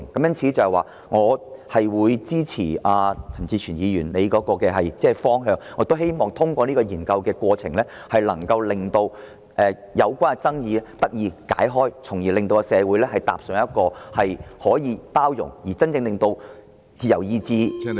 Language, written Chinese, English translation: Cantonese, 因此，我支持陳志全議員建議的方向，並希望能透過進行研究的過程化解爭議，從而令社會真正做到包容不同選擇和個人自由意志......, Therefore I support the direction proposed by Mr CHAN Chi - chuen and hope to resolve the disputes concerned by conducting a study on the subject matter so as to build a truly inclusive society in which different choices and personal free will are respected